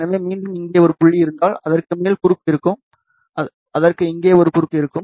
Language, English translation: Tamil, So, again if we have a dot here, it will have a cross, it will have a cross here